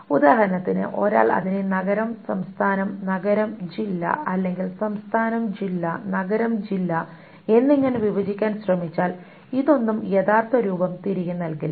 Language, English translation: Malayalam, For example, if one tries to break it down into town state and town district or state district and town district, none of this will actually give back the original form